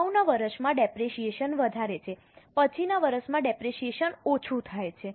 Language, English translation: Gujarati, In the earlier year the depreciation is higher, in the latter year the depreciation is lesser